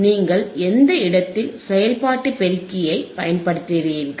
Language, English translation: Tamil, Where you are using the operational amplifier